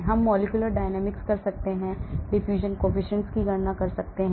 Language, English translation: Hindi, we can do molecular dynamics, we can calculate diffusion coefficient